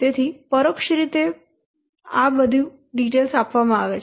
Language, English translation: Gujarati, So, indirect related given